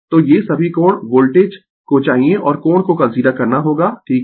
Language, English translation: Hindi, So, all this angle you have to voltage and angle you have to consider right